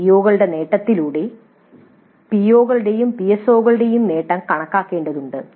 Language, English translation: Malayalam, Then via the attainment of the COs we need to compute the attainment of POs and PSOs also